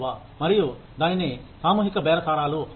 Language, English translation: Telugu, And, that is called collective bargaining